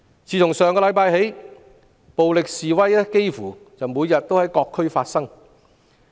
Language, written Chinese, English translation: Cantonese, 自上星期起，暴力示威幾乎每天在各區發生。, Since last week violent protests have occurred almost every day in various districts